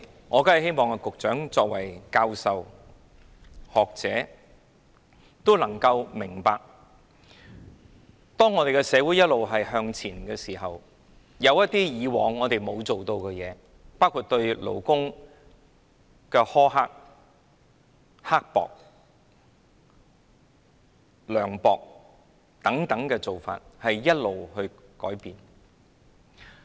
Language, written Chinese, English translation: Cantonese, 我希望局長作為教授、學者，能夠明白，當社會一直向前，一些以往沒有去改善的做法，包括對勞工苛刻、涼薄的做法，要不斷改善。, I hope that as a professor or a scholar the Secretary can understand that as society progresses some practices which have never been improved including those that are very harsh and mean to workers should be improved